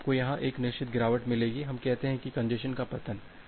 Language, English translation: Hindi, So, you will get a certain drop here, we call that the congestion collapse